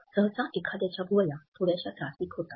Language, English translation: Marathi, Usually, someone’s eyebrows are tensed up a bit